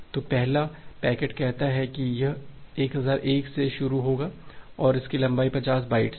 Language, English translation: Hindi, So, the first packet say it will start from 1001 and it has the length of 50 bytes